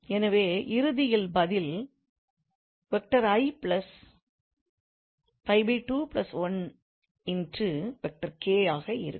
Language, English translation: Tamil, So ultimately this thing